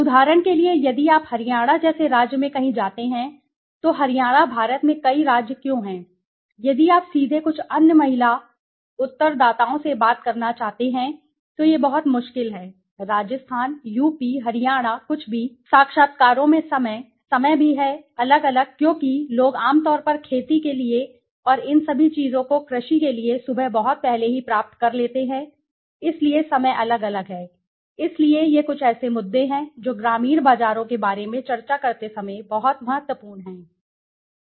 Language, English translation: Hindi, For example, if you go to a state like Haryana somewhere why Haryana many states in India if you want to directly talk to some other women respondents then it is very difficult, Rajasthan ,UP Haryana anything right, timing in the interviews right the timing is also different because people usually got to the land for cultivation and all these things for agriculture very early in the morning right, so the timing are different right, so these are some of the issues that are very important when you discuss about the rural markets